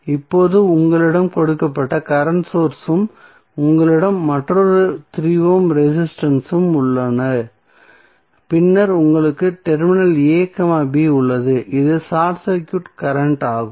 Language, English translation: Tamil, Now, you have the given current source and you have another 3 ohm resistance and then you have terminal a, b and this is the short circuit current